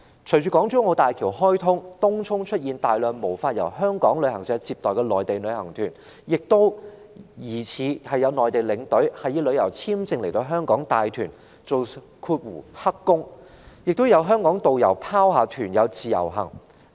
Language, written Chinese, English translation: Cantonese, 隨着港珠澳大橋開通，東涌湧現無法由香港旅行社接待的內地旅行團，也有疑似內地領隊以旅遊簽證來港帶團當"黑工"，以及香港導遊不理團友讓他們自由活動。, With the commissioning of HZMB Tung Chung has been plagued by Mainland tour groups which are not received by local travel agencies . Incidents of suspected Mainland tour guides entering Hong Kong on visit visa to provide illegal tour - guiding services in Hong Kong and tour group members being left on their own by local tour guides have occurred